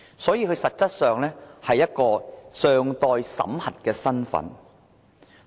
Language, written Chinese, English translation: Cantonese, 所以，他們實質上是一個尚待審核的身份。, So they are indeed someone whose identity is pending screening